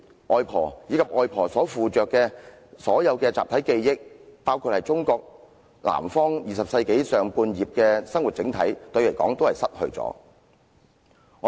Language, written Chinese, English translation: Cantonese, 外婆，以及外婆所附着的集體記憶——中國南方20世紀上半葉的生活整體，對於我是失去了。, I have lost my grandmother together with the collective memory associated with her―her overall life in Southern China during the first half of the 20 century